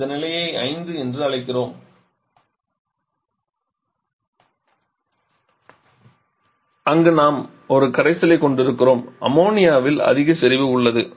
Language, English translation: Tamil, So, we are calling this status 5 where we are having a aqua solution is quite high concentration in ammonia